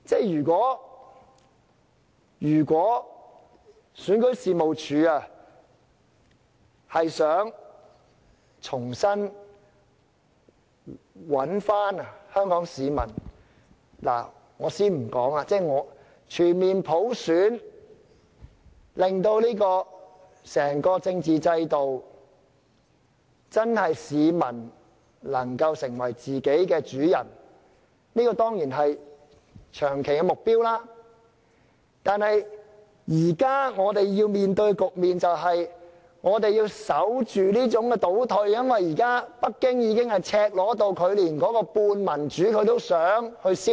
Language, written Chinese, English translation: Cantonese, 如果選舉事務處想重新挽回香港市民的信心，我且不說實行全面普選，令整個政治制度容許市民真正成為自己的主人，這當然是長期目標，但現在我們要面對的局面是，我們要守住這種倒退，因為現在北京已經赤裸到連半點民主都想消滅。, In order for REO to restore the confidence of the people of Hong Kong and let me not talk about the implementation of full universal suffrage for the time being whereby the entire political system will allow the people to truly become their own master and this certainly should be our goal in the long term the situation we have to face now is to guard against regression because Beijing has now become so blatant that it wants to destroy even the tiny bit of democracy